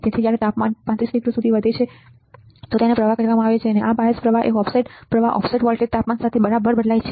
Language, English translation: Gujarati, So, when the temperature rises to 35 degree this is called the drift, bias current offset current offset voltage change with temperature all right